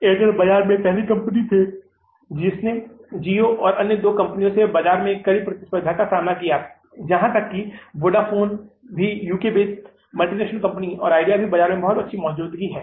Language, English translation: Hindi, Airtel being the first mover in the market, they have faced a stiff competition in the market from GEO and other two companies, even the Vodafone, a UK based company, a multinational company and idea also having a very good presence in the market